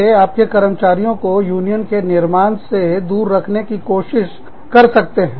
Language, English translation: Hindi, They could try to, lay your employees, away from, forming a union